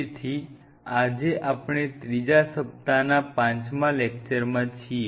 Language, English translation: Gujarati, so we are in the fifth lecture